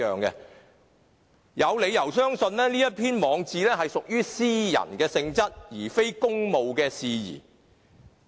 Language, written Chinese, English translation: Cantonese, 我有理由相信，這篇網誌屬於私人性質，而非公務事宜。, I have reasons to believe this post is of a private nature and has nothing do with any official business